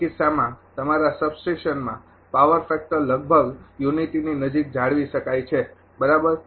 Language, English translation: Gujarati, In that case power factor at the your substation can nearly be maintain unity right